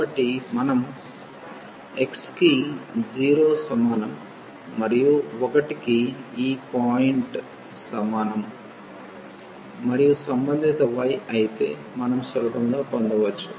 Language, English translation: Telugu, So, we will get x is equal to 0 and x is equal to 1 these two points and corresponding y of course, we can easily get